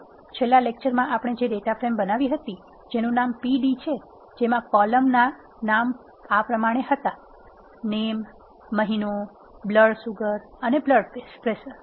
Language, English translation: Gujarati, Let us take a data frame which is created in the last lecture, we have the data frame name pd which has column name month, blood sugar and blood pressure